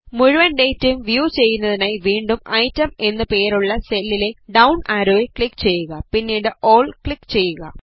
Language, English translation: Malayalam, In order to view all the data, again click on the downward arrow on the cell named Item and click on All